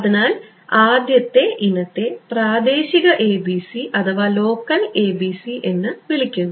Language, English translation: Malayalam, So, the first variety is what is what would be called local ABC ok